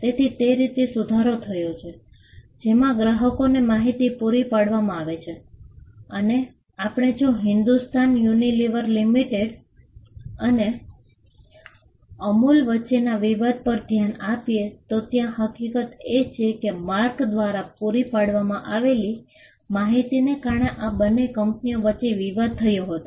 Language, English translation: Gujarati, So, it improved the way, in which information was supplied to the customers and we will later on look at the dispute between Hindustan Unilever Limited and Amul where, the fact that information supplied through the mark led to dispute between these two entities